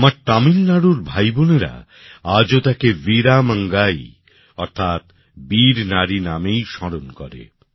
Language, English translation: Bengali, My brothers and sisters of Tamil Nadu still remember her by the name of Veera Mangai i